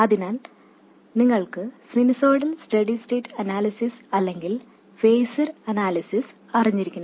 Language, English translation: Malayalam, So, you should have known sinusoidal steady state analysis or phaser analysis and so on